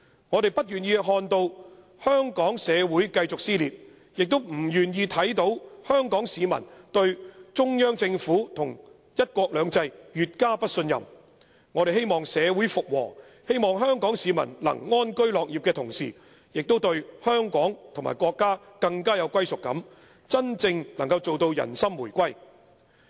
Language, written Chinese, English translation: Cantonese, 我們不願意看到香港社會繼續撕裂，也不願意看見香港市民對中央政府和'一國兩制'越加不信任；我們希望社會復和，希望香港市民能安居樂業的同時，也對香港和國家更有歸屬感，真正能夠做到人心回歸。, We do not wish to see Hong Kong society being torn apart further nor do we wish to see Hong Kong people lose confidence in the Central Government and one country two systems any further . We want society to return to harmony and the people in addition to being able to live in peace and contentment to have a deeper sense of belonging to Hong Kong and the country . We look forward to the genuine reunification of peoples hearts